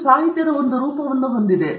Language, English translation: Kannada, This constitutes a form of literature